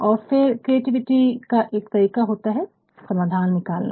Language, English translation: Hindi, And, then one of the ways of creativity is also to generate solutions